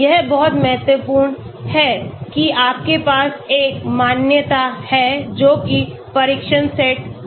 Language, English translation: Hindi, It is very, very important that you have a validation that is the test set